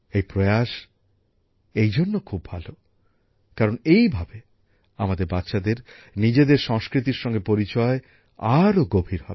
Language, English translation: Bengali, This effort is very good, also since it deepens our children's attachment to their culture